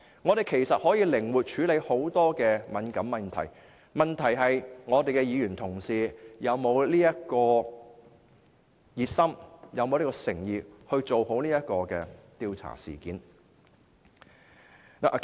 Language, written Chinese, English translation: Cantonese, 我們可以靈活處理眾多敏感問題，問題是議員是否熱心和有誠意做好這項調查。, We can deal with many sensitive issues under a flexible approach . All will just depend on whether Members have the enthusiasm or sincerity to bring an inquiry to satisfactory completion